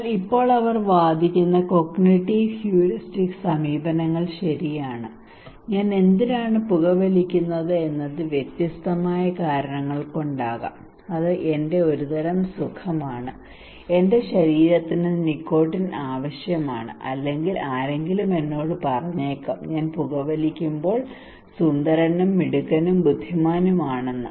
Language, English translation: Malayalam, But now the cognitive heuristic approaches they are arguing that okay why I am smoking could be different reason maybe its a kind of my pleasure, my body needs nicotine or maybe somebody told me that I look macho, handsome, smart and intelligent when I am smoking I look more fashionable when I am smoking people look at me when I smoke, or many other reasons could be there